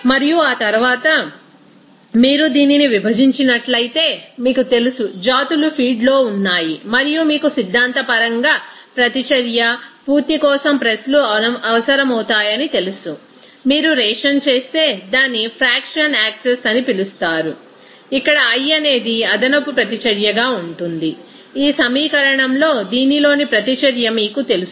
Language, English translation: Telugu, And after that, if you divide it this you know that difference of that, you know, species are present in feed and presses are required for your complete you know reaction theoretically, if you make a ration then it will be called as that fractional access where i will be the excess reactant here in this you know reaction in this in this equation